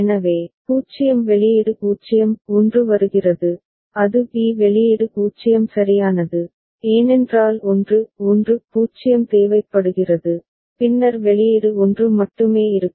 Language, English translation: Tamil, So, 0 output is 0; 1 comes it goes to b output is 0 right, because 1 1 0 is required then only the output will be 1